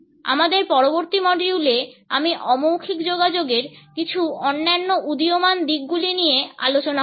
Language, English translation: Bengali, In our next module, I would take up certain other emerging aspects of non verbal communication